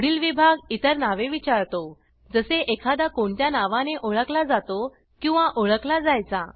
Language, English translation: Marathi, The next section asks for other names that one is or was known by